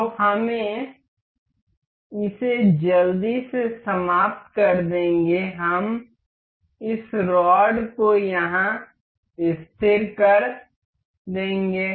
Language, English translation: Hindi, So, we will just quickly finish it up we will fix this rod here